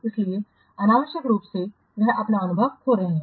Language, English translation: Hindi, So, unless they are losing their experience